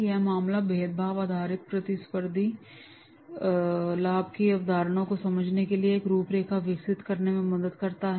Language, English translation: Hindi, This case helps develop a framework for understanding the concept of differentiation based competitive advantage